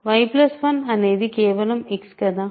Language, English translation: Telugu, y plus 1 is just X, right